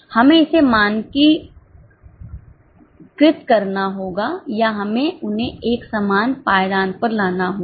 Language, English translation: Hindi, We have to standardize it or we have to bring them on equal footing